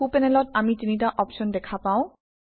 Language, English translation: Assamese, On the right panel, we see three options